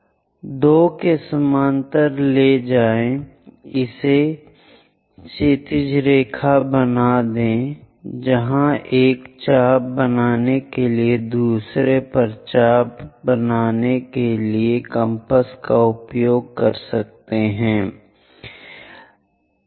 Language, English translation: Hindi, So, move parallel to 2 make it on to horizontal line from there take a compass make an arc on to second one is intersecting here call that one P2 prime